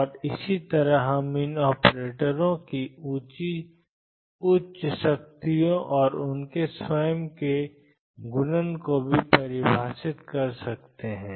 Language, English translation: Hindi, And similarly we can define higher powers of these operators and also their own multiplication